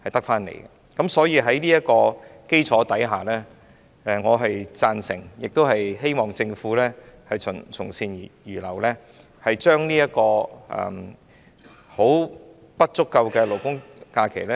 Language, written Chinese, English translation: Cantonese, 因此，在這基礎上，我贊成及希望政府從善如流，增加現時並不足夠的勞工假期。, Therefore on this basis I support the proposal and hope that the Government will accept good advice by increasing the current insufficient labour holidays